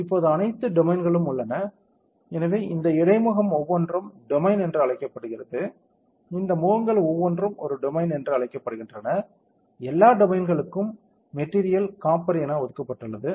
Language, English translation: Tamil, So, now all domains; so, each of these interface is called the domain each of this faces are called a domain all the domains have been assigned the material as copper